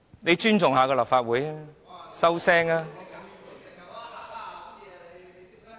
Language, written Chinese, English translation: Cantonese, 請尊重一下立法會，閉嘴吧。, Please shut up and respect the Legislative Council